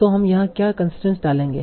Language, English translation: Hindi, So what are the constant we will put here